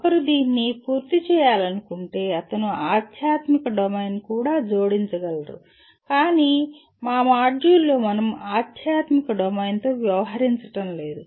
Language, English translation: Telugu, If one wants to complete this he can also add spiritual domain but in our module we are not going to be dealing with spiritual domain